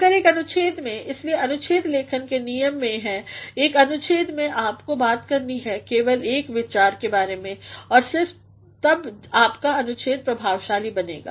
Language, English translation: Hindi, But in a paragraph that is why the rules for paragraph formation is that in one paragraph you have to talk only about one idea and only then your paragraph will become effective